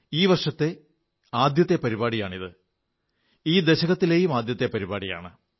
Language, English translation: Malayalam, This is the first such programme of the year; nay, of the decade